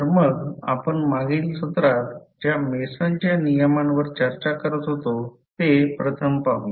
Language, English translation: Marathi, So, let us discuss first the Mason’s rule which we were discussing in the last session